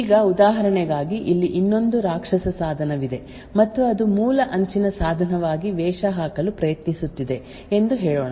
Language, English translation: Kannada, Now for instance let us say that there is another rogue device that is present here and which is trying to masquerade as the original edge device